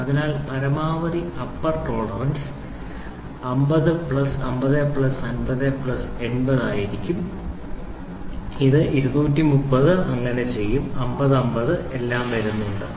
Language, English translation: Malayalam, So, the maximum upper tolerance maximum upper tolerance will be 50 plus 50 plus 50 plus 80 which is 230 how does this 50 50 and all come